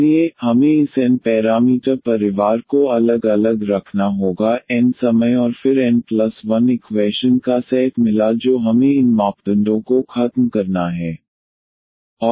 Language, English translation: Hindi, So, there we have to keep on differentiating this n parameter family of course, n times and then found the set of n plus 1 equations we have to eliminate these parameters